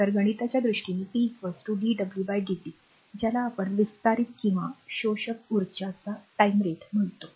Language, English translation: Marathi, So, mathematically p is equal to dw by dt, it is actually your what you call that is a time rate of a expanding or absorbing energy